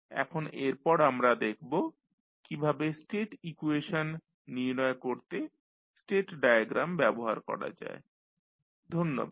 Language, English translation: Bengali, Now, we will see next how we will use the state diagram to find out the state equations, thank you